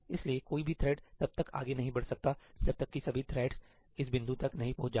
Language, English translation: Hindi, So, no thread can proceed ahead until all the threads have reached this point